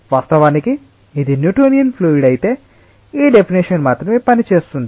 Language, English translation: Telugu, if it is a newtonian fluid, then only this definition works